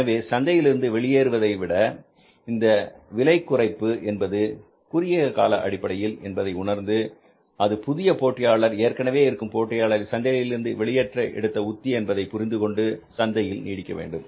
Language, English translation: Tamil, So rather than going out of the market and if you feel that this pricing is a short lived pricing, it's only a gimmick used by the new player to kill the existing players from or to shunt the existing players out of the market